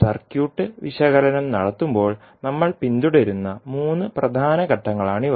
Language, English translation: Malayalam, So, these are the three major steps we will follow when we will do the circuit analysis